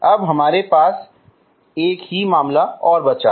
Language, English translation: Hindi, Now we have only one more case is left, okay